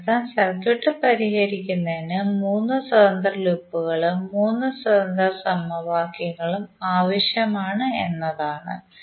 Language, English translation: Malayalam, That means that 3 independent loops and therefore 3 independent equations are required to solve the circuit